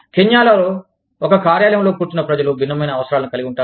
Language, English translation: Telugu, People sitting in one office, and say, Kenya, will have a different set of needs